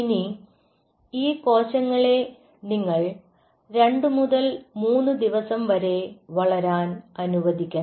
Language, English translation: Malayalam, ok, so now you allow these cells to grow for, i would say, two to three days